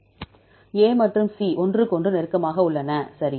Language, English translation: Tamil, A and C are close to each other, right